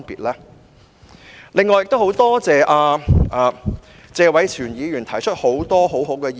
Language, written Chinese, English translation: Cantonese, 我很感謝謝偉銓議員提出了很多很好的意見。, I am very grateful that Mr Tony TSE has given a lot of good advice